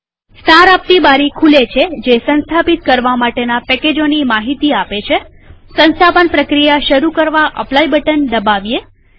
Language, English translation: Gujarati, A Summary window appears showing the details of the packages to be installed.Click on Apply button to start the Installation